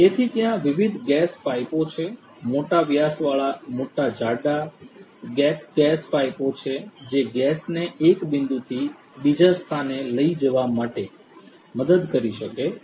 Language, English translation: Gujarati, So, there are different gas pipes; big big big thick gap gas pipes of large diameters that can help in carrying the gas from one point to another